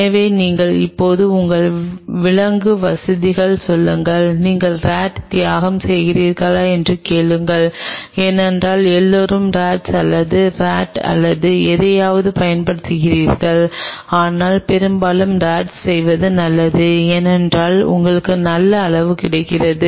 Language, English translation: Tamil, So, you just go to your animal facility now ask them do are you sacrificing rats because everybody uses rats or mice or something, but mostly it is good to do with the rat because you get quite a good amount